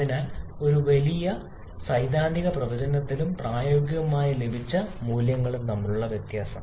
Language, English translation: Malayalam, So, there is a huge difference in the theoretical prediction and practically obtained values